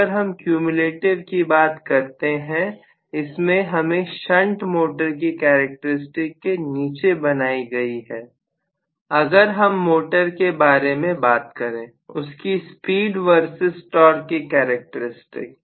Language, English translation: Hindi, So, if I talk about cumulative, it will actually be falling even below the shunt motor characteristics in the case of motoring operation when I talk about speed versus torque